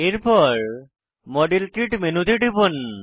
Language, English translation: Bengali, Click on modelkit menu